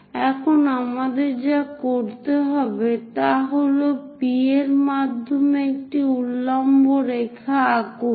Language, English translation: Bengali, Now what we have to do is, draw a vertical line through this P